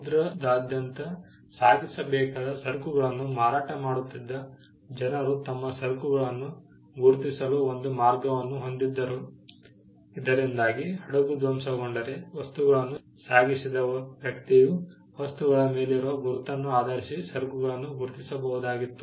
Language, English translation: Kannada, People who were selling goods which had to be shipped across the seas had a way to mark their goods so that if the ship got wrecked there was a way in which, the person who shipped the items could identify the goods based on the mark